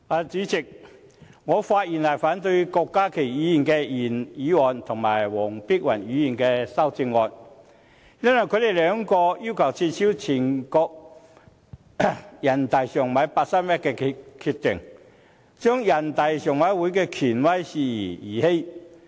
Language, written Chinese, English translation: Cantonese, 主席，我發言反對郭家麒議員的原議案和黃碧雲議員的修正案，因為他們二人均要求撤銷全國人民代表大會常務委員會八三一決定，將人大常委會的權威視為兒戲。, President I rise to speak against the original motion moved by Dr KWOK Ka - ki and the amendment proposed by Dr Helena WONG for they both have demanded the invalidation by the National Peoples Congress NPC of the decision made by the Standing Committee of NPC NPCSC on 31 August 2014 who regard NPCSCs authoritativeness as something of no significance at all